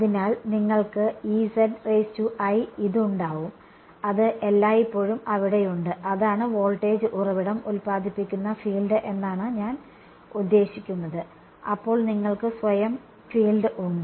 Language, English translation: Malayalam, So, you will have E z i ok, that is always there, that is the voltage I mean the field produced by the voltage source, then you have the self field right